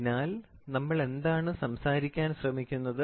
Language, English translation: Malayalam, So, basically what are we trying to talk